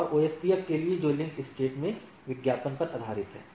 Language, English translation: Hindi, And for OSPF which is based on link state advertisement is there